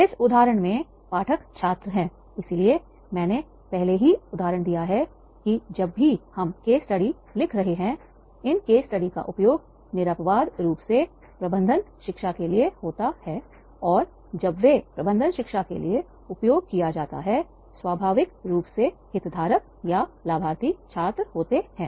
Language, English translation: Hindi, In this instance the readers are the students so therefore I have given the already example that is the here whenever we are writing the case studies then the case studies invariably these are used for the management education and when they are used for management education naturally the stakeholders or beneficiaries are the students